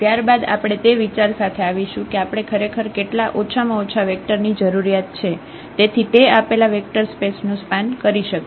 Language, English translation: Gujarati, Then we will come up with the idea now that how many actual minimum vectors do we need so, that we can span the given vector space